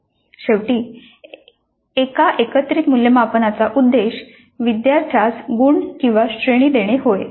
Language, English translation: Marathi, The purpose of a summative assessment is to finally give mark or a grade to the student